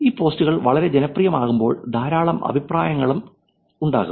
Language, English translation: Malayalam, And when these posts become very popular there are also lot of comments